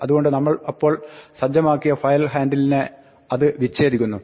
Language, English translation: Malayalam, So, it disconnects the file handle that we just set up